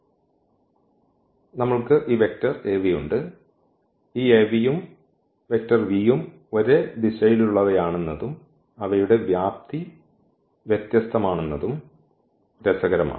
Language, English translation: Malayalam, So, we have this vector Av; what is interesting that this Av and v they have the same direction and their magnitudes are different